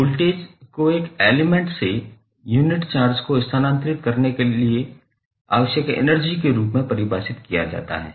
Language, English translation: Hindi, Voltage will be defined as the energy required to move unit charge through an element